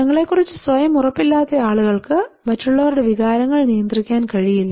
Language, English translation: Malayalam, People who are unsure about themselves unable manage feelings of others